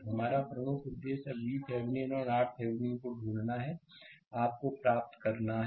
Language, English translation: Hindi, So, our major objective is now to find V Thevenin and R Thevenin; that is the that you have to obtain